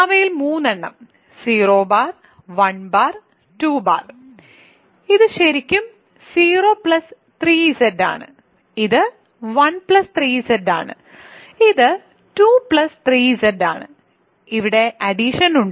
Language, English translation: Malayalam, There are 3 of them denoted by 0 bar 1 bar 2 bar, this is really 0 plus 3 Z this is 1 plus 3 Z, this is 2 plus 3 Z; there is addition on this right